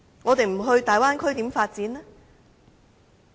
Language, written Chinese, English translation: Cantonese, 我們不到大灣區又如何發展？, How can we make development if we do not go to the Bay Area?